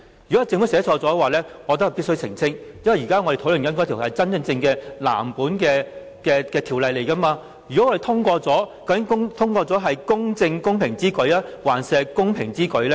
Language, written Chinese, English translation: Cantonese, 如果是政府寫錯了，我認為必須澄清，因為我們現在討論的是真正的藍紙條例草案，一旦《道歉條例草案》獲得通過，究竟通過的版本，是"公正公平之舉"，還是"公平之舉"呢？, I think it is incumbent upon the Government to clarify if it has made such a mistake . As we are in the stage of discussing the official Blue Bill should the Apology Bill be passed what would be the passed version it is just and equitable to do so or it is equitable to do so?